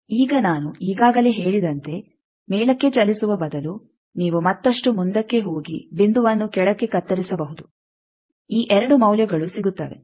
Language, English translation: Kannada, Now as I already said that instead of moving upward you can further go and cut the point downward, these 2 values will get